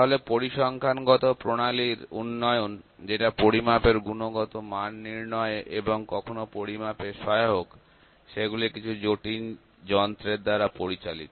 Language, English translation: Bengali, So, development of statistical methodologies which are useful to quantify the measurement quality and sometime measurements are conducted using some complicated instruments as well